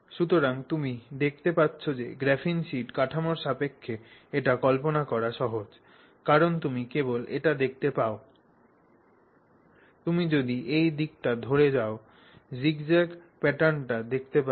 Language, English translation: Bengali, So, as you can see, it's easy to visualize it with respect to the graphene sheet structure because basically you just see this, if you go along the direction you see the zigzag pattern, right